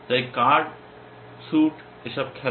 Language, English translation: Bengali, So, card, suit, play these things